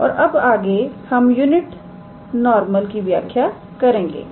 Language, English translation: Hindi, And next we define the unit normal